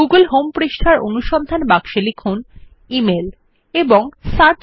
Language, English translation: Bengali, In the search box of the google home page, type email .Click Search